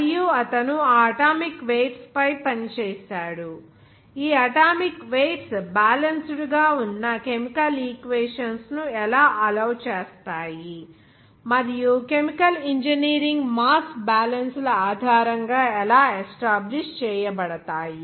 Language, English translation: Telugu, And he worked on those atomic weights, how these atomic weights will allow the chemical equations which are to be balanced and also how it can be established the basis of chemical engineering mass balances